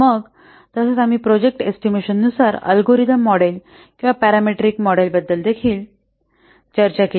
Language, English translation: Marathi, Then as also we have also discussed the algorithmic model or the parameter model for project estimation